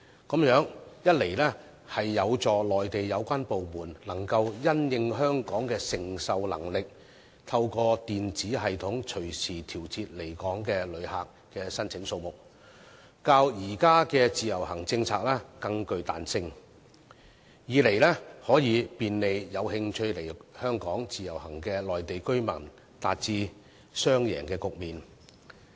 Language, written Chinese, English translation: Cantonese, 這樣一方面有助內地有關部門可因應香港的承受能力，透過電子系統隨時調節來港旅客的申請數目，較現時的自由行政策更具彈性，另一方面亦可便利有興趣來港自由行的內地居民，從而達致雙贏的局面。, This will on the one hand enable the relevant Mainland authorities to regulate anytime the number of visitors to Hong Kong through the electronic system in the light of our receiving capacity which is more flexible than the existing IVS policy and on the other hand provide convenience to Mainland residents who are interested to come to Hong Kong under IVS thereby achieving a win - win situation